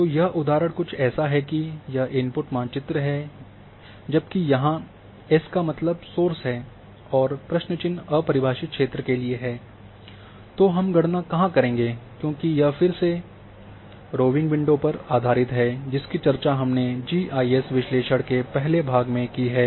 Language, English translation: Hindi, So, this example here is that this is the input map, whereas the s stands for source and the question mark is for undefined where we will calculate the distance and again it is based on rowing window which we have discussed in earlier part of GIS analysis